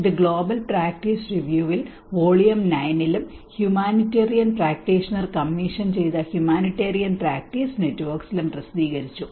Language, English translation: Malayalam, And it is published in the global practice review in volume 9 and Humanitarian Practice Network which has been commissioned by the humanitarian practitioner